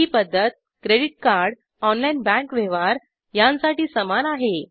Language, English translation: Marathi, The method is similar for credit card, online bank transaction is similar